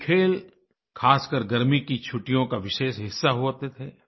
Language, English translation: Hindi, These games used to be a special feature of summer holidays